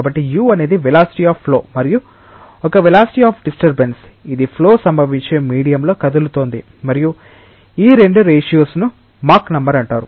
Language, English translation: Telugu, So, u is the velocity of flow and a is the velocity of disturbance, which is moving in the medium in which the flow is occurring and these 2 ratios is known as mach number